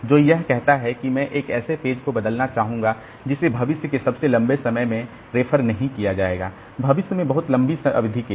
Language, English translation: Hindi, So, it says that I would like to replace a page which is not going to be referred to in the longest future time